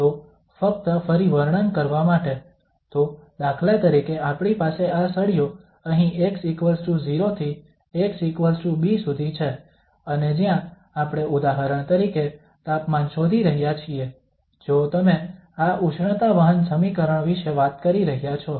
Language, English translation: Gujarati, So just to describe again, so for instance we have this here, a rod from x equal to 0 to x is equal to b and where we are finding for instance the temperature if you are talking about this heat conduction equation